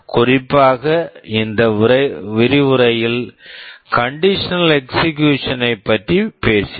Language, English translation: Tamil, In particular I have talked about the conditional execution in this lecture